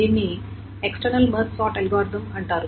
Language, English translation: Telugu, This is called an external March sort algorithm